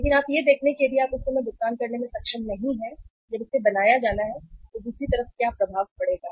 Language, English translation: Hindi, But you see that if you are not able to make the payment at that time when it is due to be made what impression the other side will carry